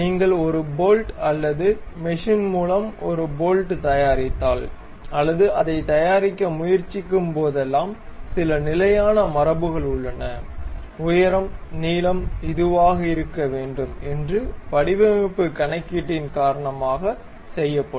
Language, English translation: Tamil, Whenever you manufacture a bolt or machine a bolt and try to prepare it there are some standard conventions like heights supposed to this much, length supposed to be this much and so on because of design calculation